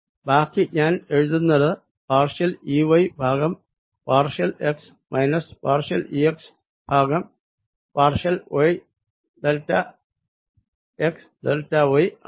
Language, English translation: Malayalam, so this is going to be minus e x, delta x, which comes out to be minus e, x, x, y, delta x, minus partial e x by partial y, delta, y, delta x